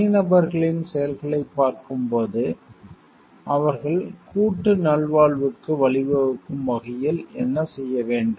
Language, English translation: Tamil, When we are looking and the acts of the individuals what they need to do so that it leads to the collective wellbeing